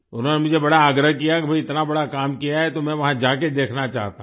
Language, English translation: Hindi, He urged me a lot that you have done such a great work, so I want to go there and see